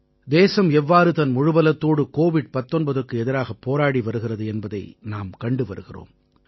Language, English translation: Tamil, We are seeing how the country is fighting against Covid19 with all her might